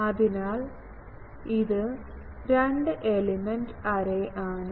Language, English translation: Malayalam, So, this is a two element array